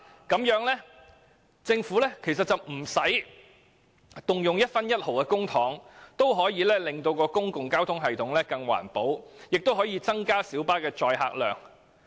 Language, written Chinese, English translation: Cantonese, 這樣政府便可在無需動用一分一毫公帑的情況下，令公共交通系統更環保，同時亦可增加小巴的載客量。, As such the public transport system can be more environmentally friendly and the carrying capacity of light buses can be increased without having to use public funds